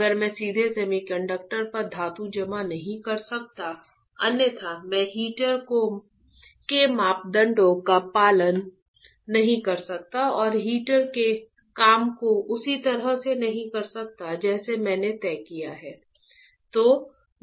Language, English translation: Hindi, If I cannot directly deposit metal on semiconductor, otherwise I cannot follow or have the parameters of the heater and working of the heater in the same manner that I have decided